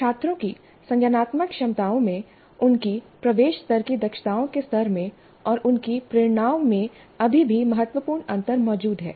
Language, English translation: Hindi, Still, significant differences do exist in the cognitive abilities of students, in the level of their entry level competencies and also in their motivations